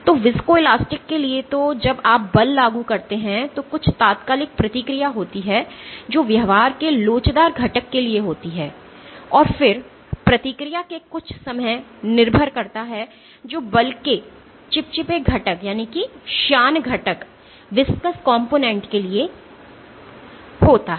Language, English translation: Hindi, So, for viscoelastic So, when you apply the force there is some instantaneous response which accounts to the elastic component of the behaviour, and then some time dependent of response which is which accounts for the viscous component of the force